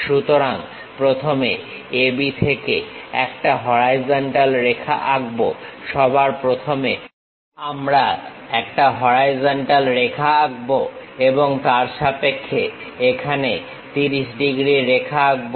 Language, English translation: Bengali, So, from A B we draw a horizontal line first, first of all we we draw a horizontal line, with respect to that 30 degrees here and with respect to that 30 degrees